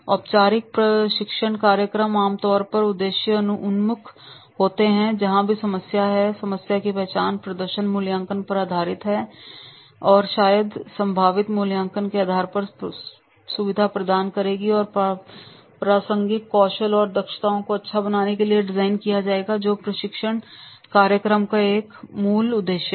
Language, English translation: Hindi, Former training programs are generally purpose oriented that wherever is the problem, problem identification may be based on the performance appraisal or may be facilitating based on the potential appraisal and designed to improve relevant skills and competencies